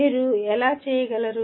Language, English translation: Telugu, How can you do that